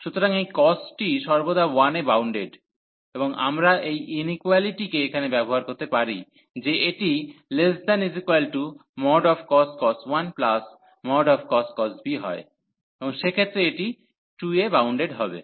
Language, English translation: Bengali, So, this cos is bounded by 1 always, and we can use this inequality here that this is less than cos 1 plus cos b, and in that case this will b bounded by 2